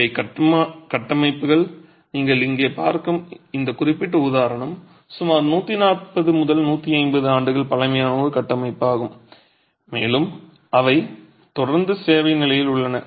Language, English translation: Tamil, These are structures, this particular example that you see here is a structure that is about 140, 150 years old and they continue to be in service conditions